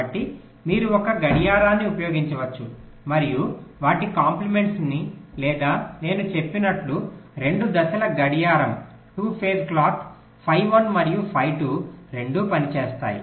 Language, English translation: Telugu, so either you can use a clock and its complements or you can use, as i said, two phase clock, phi one and phi two